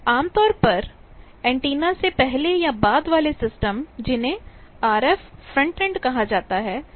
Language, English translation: Hindi, Generally, before or after the antenna the system those are called RF frontend